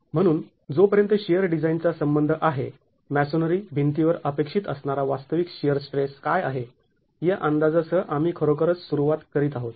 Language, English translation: Marathi, So as far as design for shear is concerned, we are really beginning with an estimate of what is the actual shear stress that is expected on a masonry wall